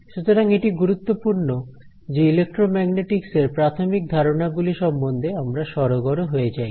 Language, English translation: Bengali, So, it is important that we become comfortable with some basic ideas that are useful for electromagnetics